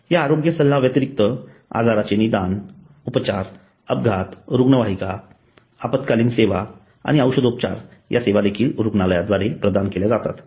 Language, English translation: Marathi, In addition to consultation there is diagnosis treatment, casualty ambulance emergency service and pharmacy which are also provided by the hospital